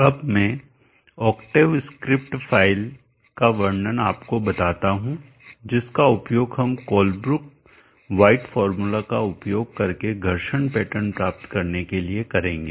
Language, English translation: Hindi, Let me now describe to you the octave script file that we will use to obtain the friction pattern using the Colebrook white formula